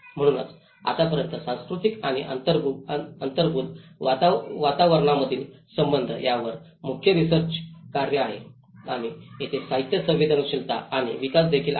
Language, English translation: Marathi, So till now, there are main lot of research works on cultural and the relation between built environment and there is also a lot of literature vulnerability and the development